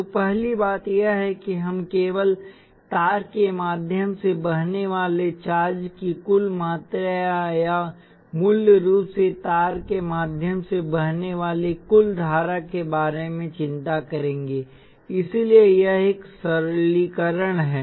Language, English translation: Hindi, So the first thing is that we will only worry about the total amount of charge that is flowing through the wire or basically the total current flowing through the wire, so that is one simplification